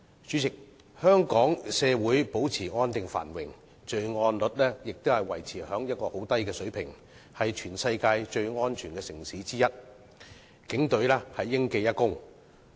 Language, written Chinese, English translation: Cantonese, 主席，香港社會保持安定繁榮，罪案率維持在很低的水平，是全世界最安全的城市之一，就此警隊應記一功。, President Hong Kong society remains stable and prosperous with its crime rate maintained at a very low level and therefore it is amongst the worlds safest cities . The credit goes to our Police Force